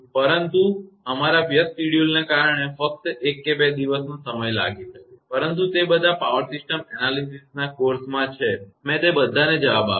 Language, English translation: Gujarati, But only it may take one or two days late because of our busy schedule, but all of them in the power system analysis course, I replied to all of them